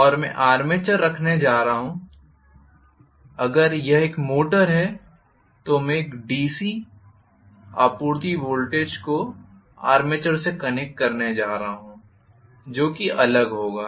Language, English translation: Hindi, And I am going to have the armature, if it is a motor I am going to connect the DC supply voltage to the armature as well which will be separate